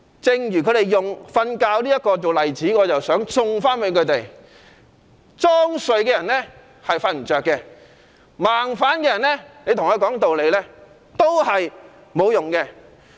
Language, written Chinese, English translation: Cantonese, 正如他們以睡覺作為例子，我也想送他們一句：裝睡的人叫不醒，跟盲反的人講道理沒有用。, In the light of their example of a person falling asleep I would like to tell them You cannot wake a person who is pretending to be asleep and there is no use reasoning with the blind opposition